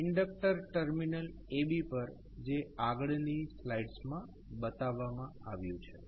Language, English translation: Gujarati, At the inductor terminal AB which is shown in the next slide